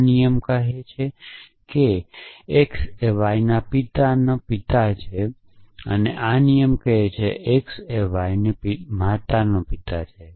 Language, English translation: Gujarati, This rule says that x is a father of father of y, this rule says that x is a father of mother of y essentially